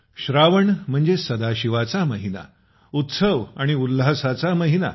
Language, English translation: Marathi, Sawan means the month of Mahashiv, the month of festivities and fervour